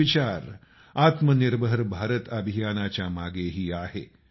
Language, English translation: Marathi, The same thought underpins the Atmanirbhar Bharat Campaign